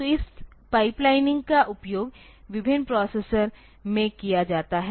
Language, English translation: Hindi, So, this pipelining is used in different processors